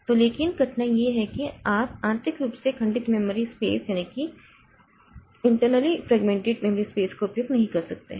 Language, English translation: Hindi, So, but, uh, uh, uh, the difficulty is that you cannot utilize that internally fragmented memory space